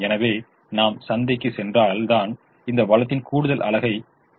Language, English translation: Tamil, therefore, let's assume i go to the market to buy this extra unit of this resource